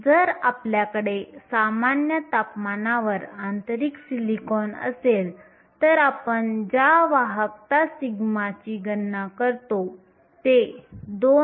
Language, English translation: Marathi, If you have intrinsic silicon at room temperature, the conductivity sigma which we calculate is 2